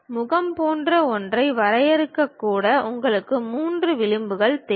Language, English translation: Tamil, Even to define something like a face you require 3 edges